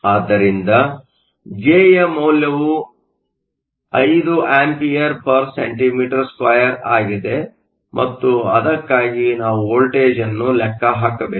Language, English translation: Kannada, So, J is 5 A cm 2 and we need to calculate the voltage for that